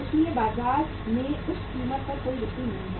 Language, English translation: Hindi, So there is no point selling at that price in the market